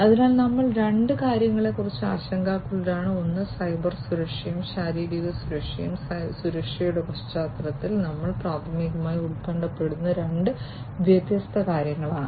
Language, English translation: Malayalam, So, we were we are concerned about two particular, two, particularly two things, one is the Cybersecurity and the physical security these are the two different things that we are primarily concerned about in the context of security